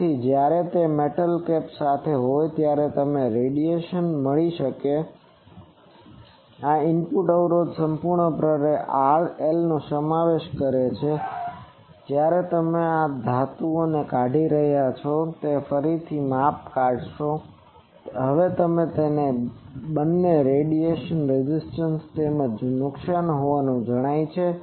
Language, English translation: Gujarati, So, when it is with metal cap you are getting the radiation, this is input impedance will consist of solely R L and when you are removing this metal and measure it again you will find it to be actually both radiation resistance as well as loss